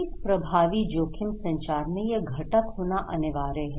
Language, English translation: Hindi, An effective risk communication should have this component